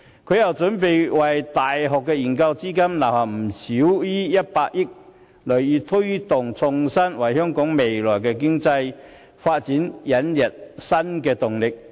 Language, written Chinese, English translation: Cantonese, 她又為大學研究資金預留不少於100億元，銳意推動創新，為香港未來的經濟發展引入新動力。, She has also set aside no less than 10 billion as funding for university research showing her determination in promoting innovation to give Hong Kong new impetus in its future economic growth